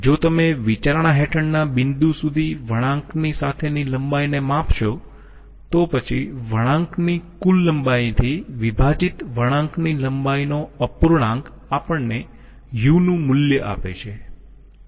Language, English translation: Gujarati, If you measure the length along the curve up till the point under consideration, then the fraction of the length of the curve divided by the total length of the curve gives us the value of u